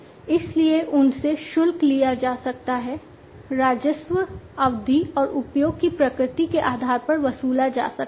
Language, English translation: Hindi, So, they can be charged, the revenues can be charged, based on the duration, and the nature of usage